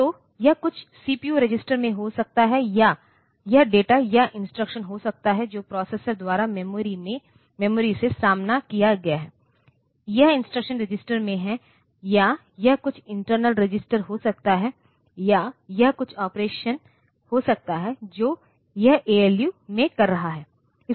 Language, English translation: Hindi, So, it may be in some CPU register or it may be that data or the instruction that has been faced by the processor from the memory, it is in the instruction register or it may be some internal register or it may be some operation that it is doing in the ALU